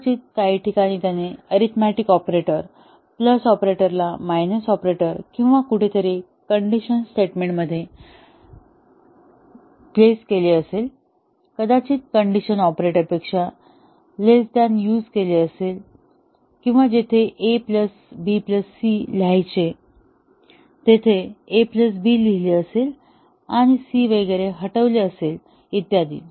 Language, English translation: Marathi, May be, in some places he has flipped an arithmetic operator, plus operator into a minus operator or somewhere in the conditional statement, might have made a less than equal to into a less than operator or may be somewhere where it is written a plus b plus c, he might have written only a plus b and deleted c and so on